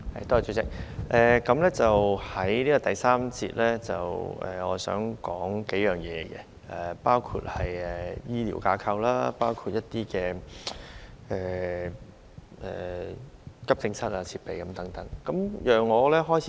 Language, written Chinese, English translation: Cantonese, 代理主席，在第三個辯論環節，我想談及包括醫療架構、急症室設備等數方面的事宜。, Deputy President in the third session of the debate I would like to talk about matters including the medical structure and equipment in emergency rooms